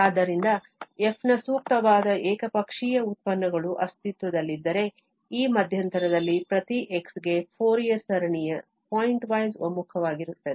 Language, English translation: Kannada, So, if appropriate one sided derivatives of f exist then, for each x in this interval, the Fourier series is pointwise convergent